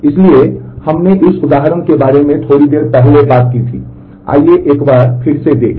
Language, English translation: Hindi, So, we had talked about this example a bit earlier again let us take a look